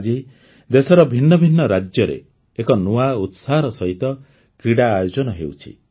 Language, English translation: Odia, Today, sports are organized with a new enthusiasm in different states of the country